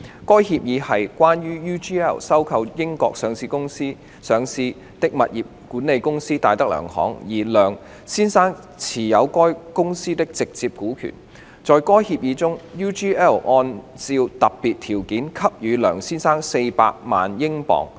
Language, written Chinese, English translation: Cantonese, 該協議是關於 UGL 收購在英國上市的物業管理公司戴德梁行，而梁先生持有該公司的直接股權。在該協議中 ，UGL 按照特別條件，給予梁先生400萬英鎊。, The Agreement was related to UGLs takeover of DTZ Holdings PLC a real estate services company listed in the United Kingdom in which Mr LEUNG had a direct stake and UGL undertook in the Agreement to pay Mr LEUNG £4 million subject to specific conditions